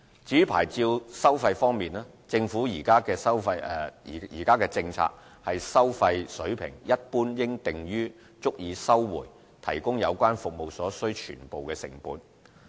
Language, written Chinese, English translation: Cantonese, 至於牌照收費方面，政府現時政策是收費水平一般應訂於足以收回提供有關服務所需全部成本。, Regarding licence fees it is the Governments policy that fees should in general be set at a level sufficient to recover the full cost of providing the relevant services